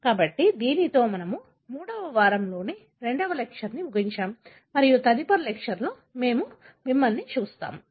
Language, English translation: Telugu, So, with that, we come to an end to the second lecture of the third week and we will see you in the next lecture